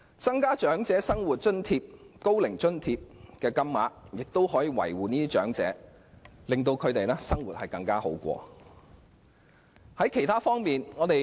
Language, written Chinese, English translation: Cantonese, 調高長者生活津貼及高齡津貼的金額，則可照顧長者，令他們的生活過得更好。, An increase in the Old Age Living Allowance and the Old Age Allowance can likewise address the needs of the elderly and give them a better life